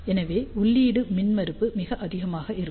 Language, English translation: Tamil, So, input impedance will be very high